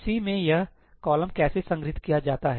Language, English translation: Hindi, In C, how is this column stored